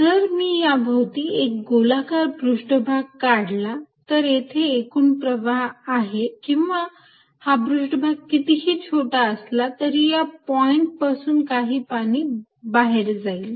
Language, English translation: Marathi, If I make a spherical surface around it you see there is an net flow or water outside at this point no matter how small the surface, this point there will be some water going out